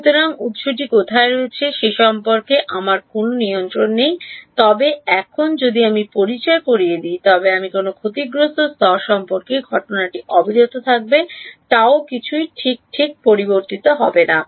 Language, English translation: Bengali, So, I have no control over where the source is, but now if I introduce the if I introduce a lossy layer incident will continues to be at gamma nothing changes right